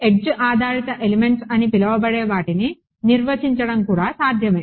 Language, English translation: Telugu, It is also possible to define what are called edge based elements